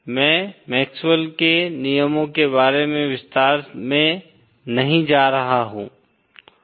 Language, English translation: Hindi, I am not going to go into detail about MaxwellÕs laws